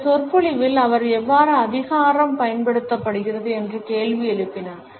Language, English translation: Tamil, In this lecture he had questioned how power is exercised